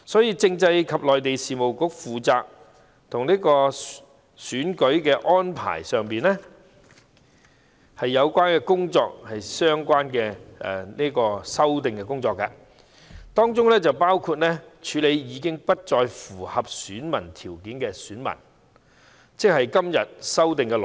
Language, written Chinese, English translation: Cantonese, 因此，該局負責就有關選舉安排的工作進行相關的修訂，當中包括處理已不再符合選民資格的功能界別團體，即今次修例的內容。, Therefore the Bureau is responsible for making relevant amendments relating to electoral arrangements including dealing with corporates which are no longer eligible to be electors in FCs; that is the content of this legislative amendment exercise